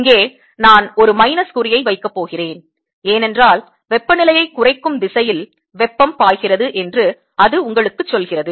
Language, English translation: Tamil, i am going to put a minus sign here because that tells you that flows in the direction of lowering temperature